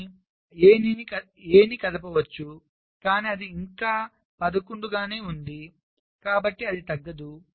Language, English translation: Telugu, but a you can move, but it still remains eleven, it does not reduce